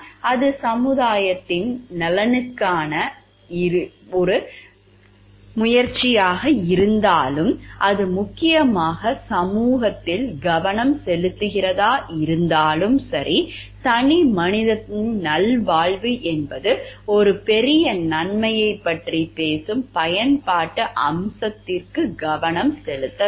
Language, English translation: Tamil, Whether it is on benefit to the society at large and whether that is a it is focused mainly on the society, the individuals wellbeing is not the focus for the utilitarianism aspect which is which talks of a greater good